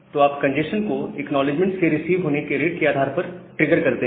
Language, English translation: Hindi, So, you trigger the congestion into adjustment based on the rate at which acknowledgement are received